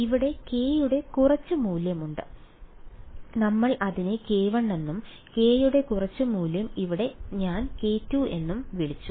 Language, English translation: Malayalam, So, there is some value of k over here we called it k 1 and some value of k over here I called it k 2